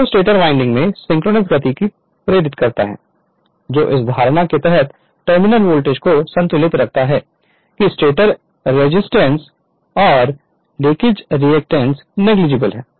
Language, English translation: Hindi, Which runs at synchronous speed inducing emf in the stator winding which balances the terminal voltage under the assumption that the stator resistance and react[ance] leakage reactance are negligible